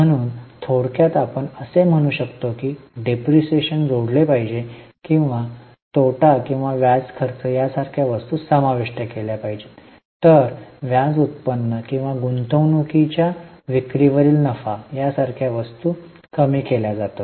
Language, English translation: Marathi, So, in short we can say that the depreciation should be added or items like loss or interest expenses are added while items like interest income or profit on sale of investments are reduced